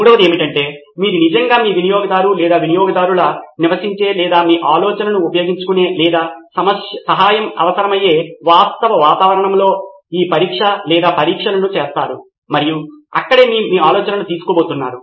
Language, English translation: Telugu, The third one is that you actually perform these trials or test in the actual environment in which your user or customer lives or uses your idea or needs help and that is where you are going to take your idea